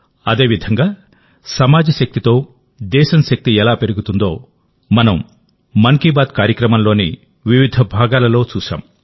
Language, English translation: Telugu, You know the power of your mind… Similarly, how the might of the country increases with the strength of the society…this we have seen and understood in different episodes of 'Mann Ki Baat'